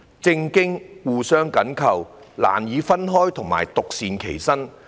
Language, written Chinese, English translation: Cantonese, 政治和經濟互相緊扣，難以分開及獨善其身。, As politics and economy are interrelated they can hardly be separated and remain independent